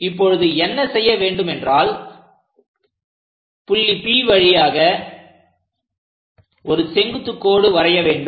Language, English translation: Tamil, Now what we have to do is, draw a vertical line through this P